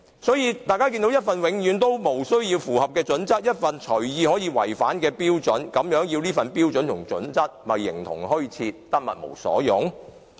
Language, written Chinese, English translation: Cantonese, 所以，這份《規劃標準》是永遠無須符合或隨意可以違反的標準，實在形同虛設，得物無所用。, Hence standards contained in HKPSG need not be complied with or can be arbitrarily violated they are actually useless and exist in name only